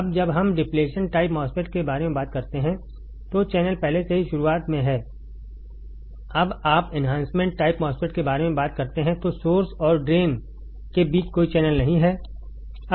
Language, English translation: Hindi, Now when we talk about depletion type MOSFET, the channel is already there in the beginning, when you talk about enhancement type MOSFET there is no channel between source and drain